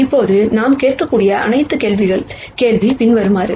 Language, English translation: Tamil, Now, the next question that we might ask is the following